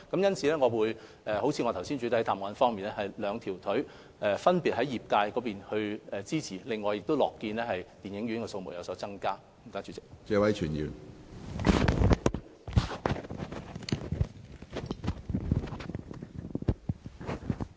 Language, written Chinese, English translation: Cantonese, 因此，正如我在主體答覆中提到，我們一方面繼續支持電影業界，也樂見電影院的數目有所增加。, Therefore I have mentioned in the main reply that we support the film industry and we are pleased to see an increase in the number of cinemas